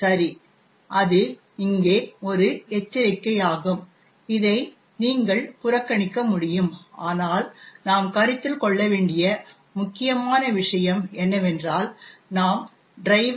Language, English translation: Tamil, Okay, so that is a warning which is present here which you can ignore but the important thing for us to consider is that we are linking the driver